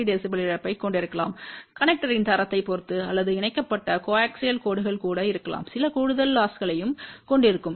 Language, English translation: Tamil, 3 db depending upon the quality of the connecter or may be even that connected coaxial lines also will have some additional losses